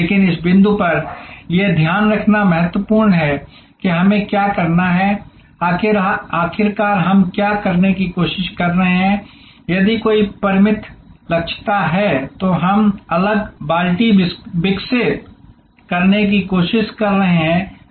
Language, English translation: Hindi, But, at this point it is important to note that we have to, ultimately what we are trying to do is if there is a finite capacity, we are trying to develop different buckets